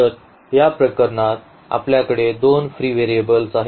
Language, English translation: Marathi, So, in this case we have two in fact, free variables